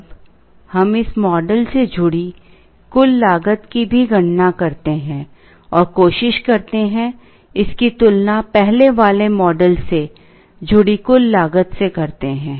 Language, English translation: Hindi, Now, let us also calculate the total cost associated with this model, and try and compare it with the total cost associated with the earlier model